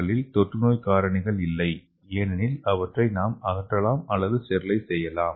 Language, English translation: Tamil, And here there is no infective agents because it can be removed or sterilized